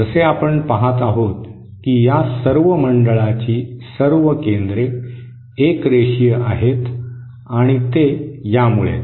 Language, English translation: Marathi, As we see that all the centres of all these circles are collinear and that is because of this